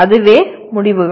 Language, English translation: Tamil, That is outcomes